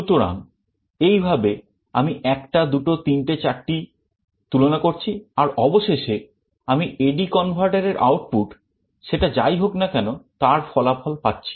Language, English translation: Bengali, So, in this way I make 1 comparison, 2 comparison, 3 comparison and 4 comparison and I get finally my result whatever will be my output of the A/D converter